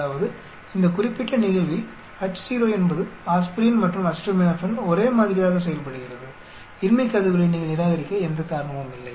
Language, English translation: Tamil, That is Ho in this particular case is aspirin and acetaminophen behave in the same way, there is no reason for you to reject the null hypothesis